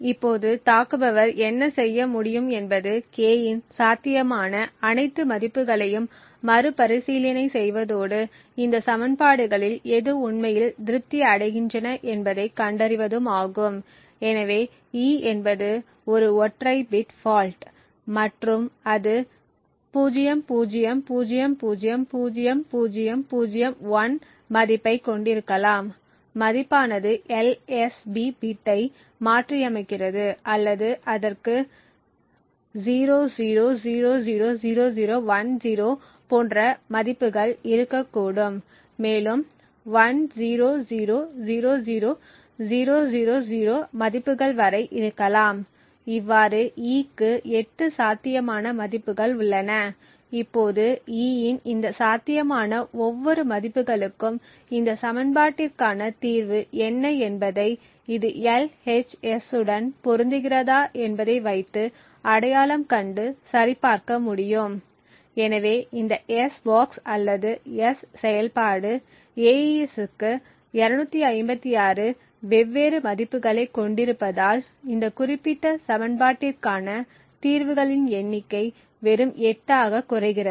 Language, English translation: Tamil, Now also what the attacker could then do is iterate to all possible values of k and identify which of these equations are actually satisfied, so let us say that e is a single bit fault and therefore e could have a value either 00000001 because it is in this case modifying the LSB bit or it could have values like 00000010 and so on to up to 10000000 thus there are 8 possible values for e, now for each of these possible values of e one can identify what is the solution for this equation and validate whether it is matching the LHS, so since this s box or the s function has 256 different values for AES the number of solutions for this particular equation reduces down to just 8